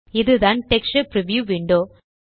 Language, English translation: Tamil, This is the texture preview window